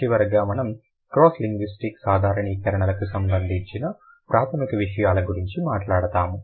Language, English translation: Telugu, And finally we'll talk about what are the basic things related to cross linguistic generalizations are concerned